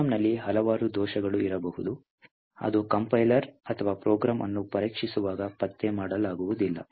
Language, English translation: Kannada, So, there could be several bugs in a program which do not get detected by the compiler or while testing the program